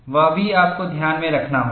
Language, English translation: Hindi, That also, you have to keep in mind